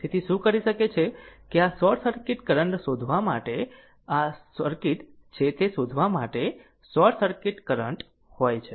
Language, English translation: Gujarati, So, so what you can do is that to find out this short circuit current, this is the circuit you have to find out you have to find out, your short circuit current